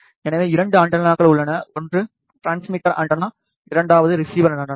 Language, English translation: Tamil, So, there are 2 antennas; one is a transmitter antenna, second one is a receiver antenna